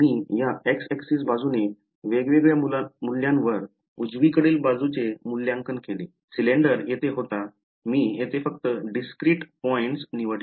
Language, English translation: Marathi, I just evaluated the right hand side at different values along the along this y axis, the cylinder was here I just chose different discrete points over here